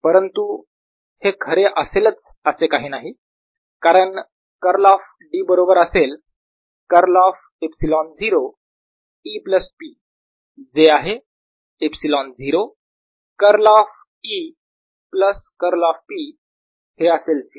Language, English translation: Marathi, but this is not necessarily true, because curl of d will be equal to curl of epsilon zero, e plus p, which is epsilon zero, curl of e plus curl of p